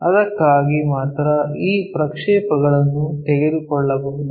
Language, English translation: Kannada, For that only we can take these projections